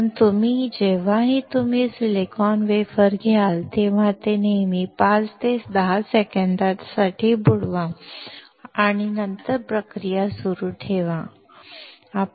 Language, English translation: Marathi, Hence, whenever you take a silicon wafer always dip it for 5 to 10 seconds and then continue with the process